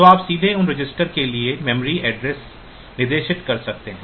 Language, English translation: Hindi, So, you can directly specify the memory addresses for those registers